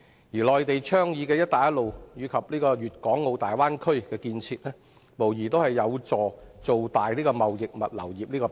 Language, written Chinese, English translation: Cantonese, 而內地倡議的"一帶一路"，以及粵港澳大灣區建設，無疑有助造大貿易物流業這個餅。, Meanwhile the Belt and Road Initiative and the Guangdong - Hong Kong - Macao Bay Area Development proposed by the Mainland will undoubtedly help make the pie of the trading and logistics industry bigger